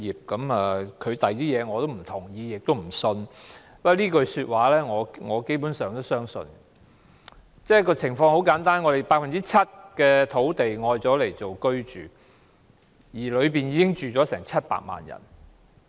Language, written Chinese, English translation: Cantonese, 他在其他方面的意見，我不認同亦不相信；但他這句說話，我基本上也是相信的，因為很簡單，我們有 7% 的土地用作住屋，當中住了700萬人。, While I neither share nor trust his views in other aspects I basically believe this remark made by him because simply enough 7 % of our land is devoted for residential uses to house 7 million people